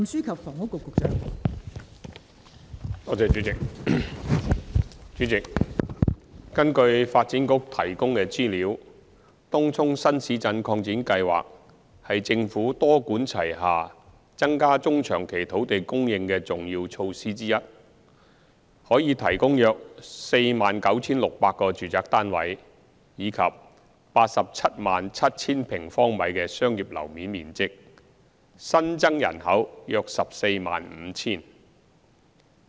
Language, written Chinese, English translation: Cantonese, 代理主席，根據發展局提供的資料，東涌新市鎮擴展計劃是政府多管齊下增加中長期土地供應的重要措施之一，可提供約 49,600 個住宅單位及 877,000 平方米的商業樓面面積，新增人口約 145,000。, Deputy President according to the information provided by the Development Bureau Tung Chung New Town Extension TCNTE project is one of the key measures under the Governments multi - pronged strategy to increase land supply in medium to long term . The project can provide about 49 600 housing units and 877 000 sq m of commercial floor area; the additional population is about 145 000